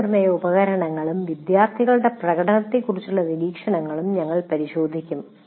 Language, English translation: Malayalam, And we will also look at observations on assessment instruments and student performance